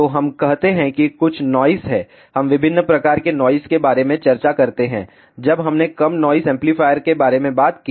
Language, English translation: Hindi, So, let us say there is some noise, we discuss about different types of noise, when we talked about low noise amplifier